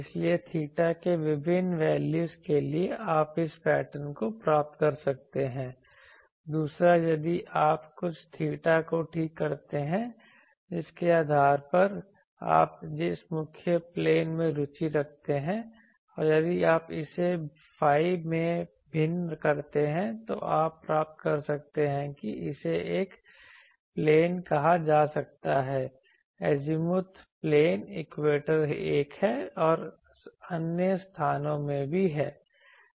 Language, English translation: Hindi, So, here for various values of theta sorry various values of theta you can get this pattern, the other one if you fix some theta depending on which principal plane you are interested and if you vary it in the phi you get that this is this may be called a plane as a azimuth plane equator is one or you can have in other places also